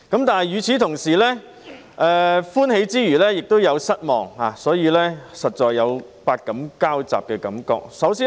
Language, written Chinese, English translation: Cantonese, 但是，與此同時，歡喜之餘也有失望，所以實在有百感交雜的感覺。, However while we feel glad about it we also find it disappointing and thus we really have mixed feelings indeed